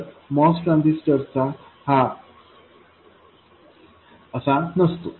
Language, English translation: Marathi, Now a mouse transistor is not like that